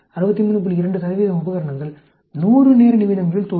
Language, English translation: Tamil, 2 will fail in 100 time minutes